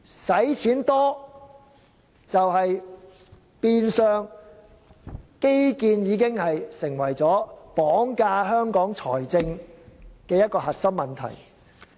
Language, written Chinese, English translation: Cantonese, 基建耗資龐大，變相成為綁架香港財政的核心問題。, The huge infrastructure expenditure has indeed turned into a big problem which kidnaps the finance of Hong Kong